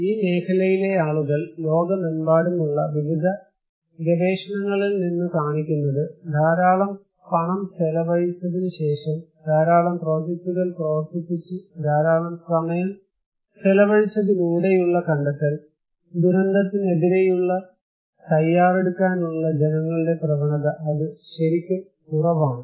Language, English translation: Malayalam, People from the field, from various research across the globe is showing that after putting a lot of money, running a lot of projects, spending a lot of time, the inclination; the tendency of the people to prepare against disaster is elusive, it is really low